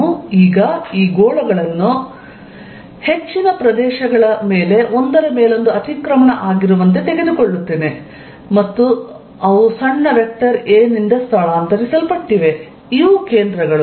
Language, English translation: Kannada, Let me now take these spheres to be overlapping over most of the regions and they are displaced by small vector a, these are the centres